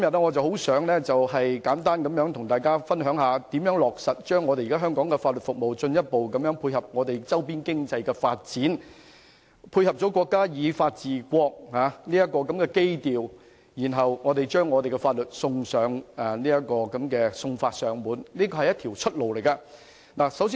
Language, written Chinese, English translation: Cantonese, 我今天想與大家分享一下，香港的法律服務如何進一步配合周邊經濟的發展，以及配合國家以法治國的基調，落實送法上門，為本港謀求另一條出路。, I would like to share with you my views on finding a way out for Hong Kongs legal services today . We can further complement the development of peripheral economies and complement the countrys keynote of ruling by law by delivering legal services to their doorstep